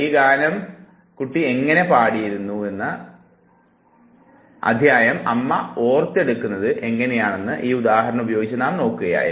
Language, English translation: Malayalam, Now at that time we were looking at this very example with respect to how the mother recollects the episode of how her child used to sing this very song